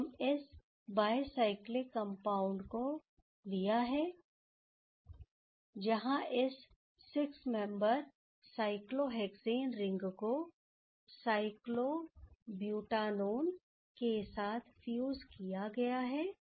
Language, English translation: Hindi, So, we have taken this bicyclic compound, where this 6 membered cyclohexane ring is fused with cyclobutanone